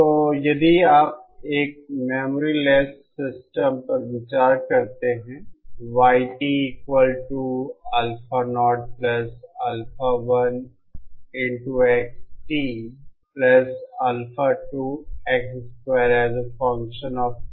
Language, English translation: Hindi, So if you consider a memory less system